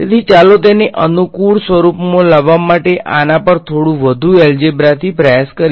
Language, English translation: Gujarati, So, let us try to do a little bit more algebra on this to bring it into convenient form ok